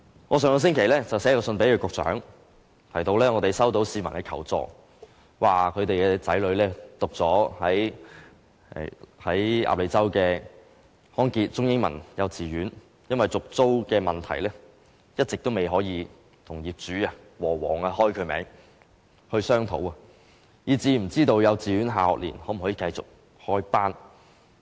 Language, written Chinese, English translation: Cantonese, 我上星期致函局長，提到我們收到市民求助，指其子女報讀的康傑中英文幼稚園，因為續租問題一直未能與業主——和記黃埔有限公司——商討，以致不知道幼稚園下學年能否繼續開班。, I wrote to the Secretary last week telling him that we have received requests for help from members of the public . The people said that their children have enrolled in Good Health Anglo - Chinese Kindergarten Ap Lei Chau . Since they have tried but failed to discuss with the landlord of the kindergarten premises Hutchison Whampoa Limited HWL on the issue of tenancy agreement renewal they do not know whether the kindergarten will continue to offer classes in the next academic year